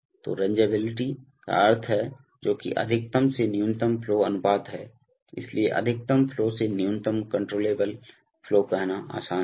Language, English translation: Hindi, So, rangeability means that what is the maximum to minimum flow ratio, so the maximum flow to the minimum controllable flow easy to say